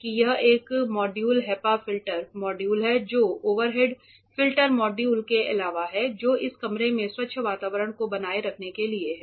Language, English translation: Hindi, So, this is a module filter module HEPA filter module apart from the overhead filter modules that are there for maintaining the clean environment of this room